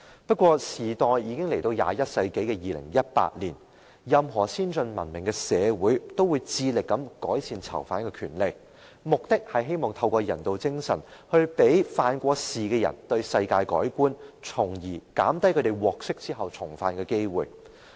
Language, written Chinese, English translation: Cantonese, 不過，時代已經來到21世紀的2018年，任何先進文明的社會也會致力改善囚犯權利，目的就是希望透過人道精神，讓曾經犯事的人對世界改觀，從而減低他們獲釋後重犯的機會。, But time - wise we have now entered 2018 in the 21 century . Any advanced and civilized society will strive to improve prisoners rights with the aim of changing ex - offenders perception of the world through humanitarianism and in turn reducing their chance of re - offending upon release